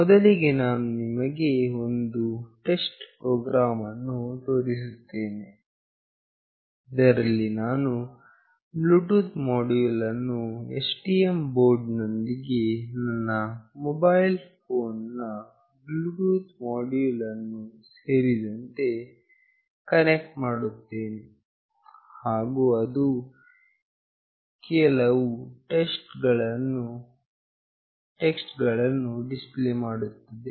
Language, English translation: Kannada, First I will show you a test program, where I will be connecting the Bluetooth module with STM board along with my mobile phone Bluetooth module, and it will display some text